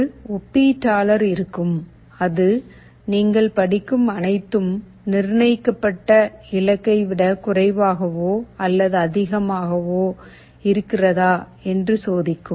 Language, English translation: Tamil, There will be a comparator, which will be checking whether this feedback, whatever you are reading is less than or greater than the set goal